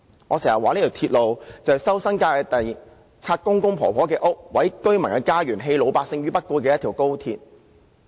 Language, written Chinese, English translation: Cantonese, 我常說，高鐵項目要收回新界的土地、拆毀長者的房屋、毀掉居民的家園，是一條棄老百姓於不顧的鐵路。, I often say that XRL is a rail link built at the expense of ordinary people as its construction had led to the resumption of land in the New Territories the tearing down of houses of the elderly and the destruction of homes of residents